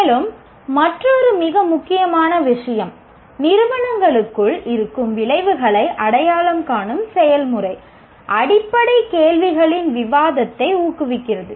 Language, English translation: Tamil, And another very important thing, the process of identification of the outcomes within an institutes promotes discussion of fundamental questions